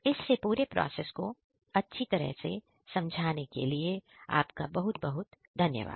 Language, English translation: Hindi, Ok, thank you so much for explaining the entire process